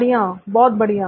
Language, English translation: Hindi, Good good good